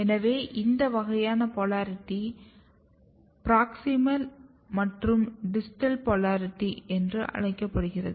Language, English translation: Tamil, So, this kind of polarity is called proximal and distal polarity